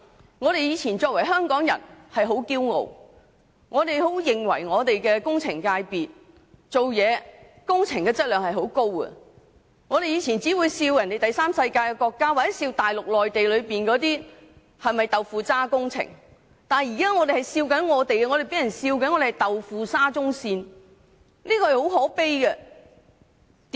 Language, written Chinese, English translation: Cantonese, 我們過往以身為香港人為傲，認為香港的建築工程質量很高，還取笑第三世界國家或內地的"豆腐渣"工程，但我們現在反被取笑興建"豆腐沙中線"，真的很可悲。, We thought that construction projects in Hong Kong are of a very high standard and even ridiculed the tofu - dreg construction works in the third world countries or in the Mainland . However we are now being ridiculed for building a tofu - dreg SCL . It is indeed very pathetic